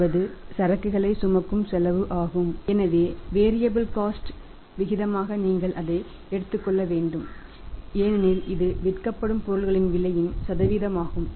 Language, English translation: Tamil, So as a proportion of the variable cost you will have to take it as that is a percentage of of the cost of goods sold